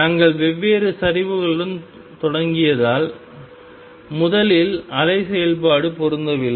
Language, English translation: Tamil, Since we started with different slopes first the wave function did not match